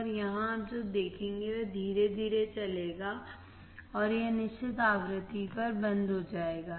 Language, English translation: Hindi, And here what you will see it will go slowly and it will stop at certain frequency right